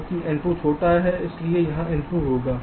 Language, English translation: Hindi, since n two is smaller, it will be n two